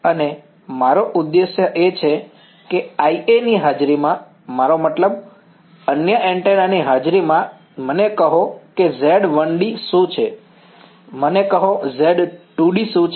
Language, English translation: Gujarati, And our objective is that in the presence of I A, I mean in the presence of the other antenna tell me what is Z 1 d tell me what is Z 2 d ok